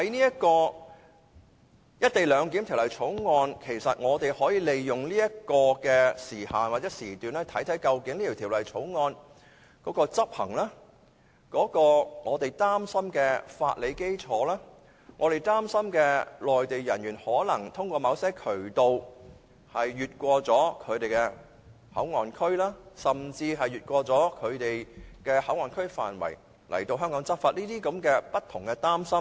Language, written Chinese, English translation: Cantonese, 如果應用於《條例草案》，我們可以利用指明的時限或時段來檢視《條例草案》的執行情況、我們擔心的法理基礎，以及我們擔心內地人員通過某渠道越過內地口岸區，甚至越過內地口岸區範圍來港執法等的情況。, If such sunset clauses are applied to the Bill we can make use of the specified time limit or period to examine the enforcement of the enactment and our concerns such as the legal basis and the Mainland personnel who might enter any area outside the Mainland Port Area MPA through a certain channel or enforce law in Hong Kong after entering any area outside MPA